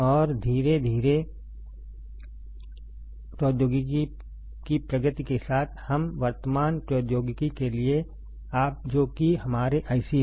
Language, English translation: Hindi, And slowly with the advancement of technology, we came to the present technology which is our IC